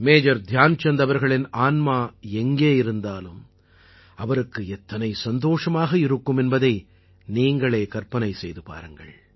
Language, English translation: Tamil, You can imagine…wherever Major Dhyanchand ji might be…his heart, his soul must be overflowing with joy